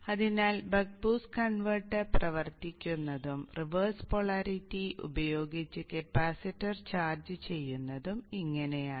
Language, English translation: Malayalam, So this is how the Buck Post converter works and charges of the capacitor with the reverse polarity